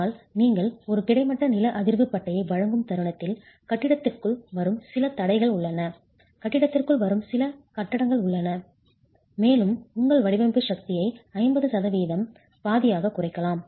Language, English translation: Tamil, But the moment you provide a horizontal seismic band, there is some confinement that comes into the building, there is some tying that comes into the building and you can reduce your design force by 50% by one half